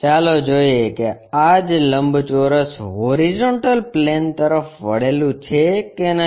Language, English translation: Gujarati, Let us look at if the same rectangle is inclined to horizontal plane